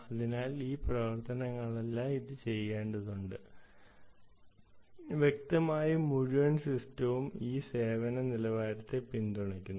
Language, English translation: Malayalam, so all these actions it has to do, it has to be obviously depend because it supports the whole system, supports this quality of service levels